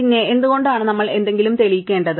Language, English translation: Malayalam, So, why do we need to prove something